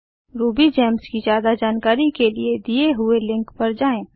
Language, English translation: Hindi, For more information on RubyGems visit the following link